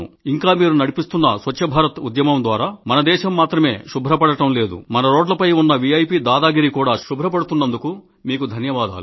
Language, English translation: Telugu, And the Swachch Bharat Campaign that you have launched will not only clean our country, it will get rid of the VIP hegemony from our roads